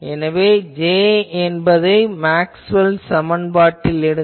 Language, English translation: Tamil, So, put J in the Maxwell’s equation you get this